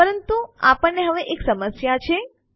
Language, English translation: Gujarati, But now weve a problem